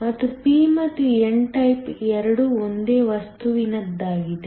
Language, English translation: Kannada, And, both the p and the n type are from the same material